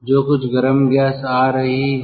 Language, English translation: Hindi, so hot gas is passing through this